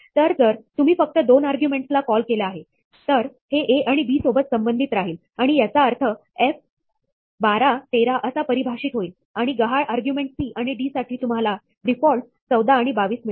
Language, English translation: Marathi, Then, if you have a call with just 2 arguments, then, this will be associated with a and b, and so, this will be interpreted as f 13, 12, and for the missing argument c and d, you get the defaults 14 and 22